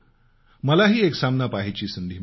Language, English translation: Marathi, I also got an opportunity to go and watch a match